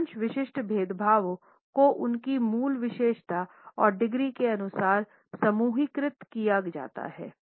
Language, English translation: Hindi, Most typical differentiations are grouped according to their basic characteristic and by degrees